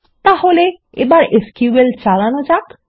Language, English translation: Bengali, So, let us execute the SQL